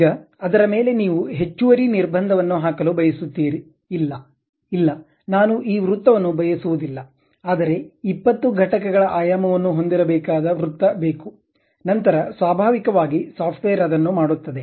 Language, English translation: Kannada, Now, over that, you want to put additional constraint; no, no, I do not want this circle, but a circle supposed to have 20 units of dimension, then naturally the software does because now you are again changing your view